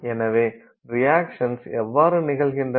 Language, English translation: Tamil, So, why do the reactions occur